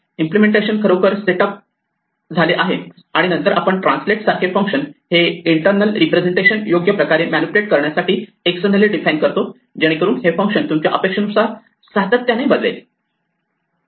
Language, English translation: Marathi, This is where the implementation really gets set up, and then the functions that we define externally like translate manipulate this internal representation in an appropriate way, so that it changes consistently with what you expect the functions to be